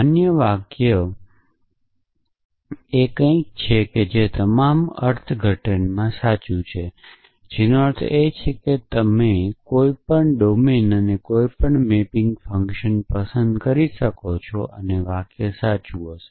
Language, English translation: Gujarati, So, a valid sentence is something which is true in all interpretations, which means you can choose any domain and any mapping function and the sentence will be true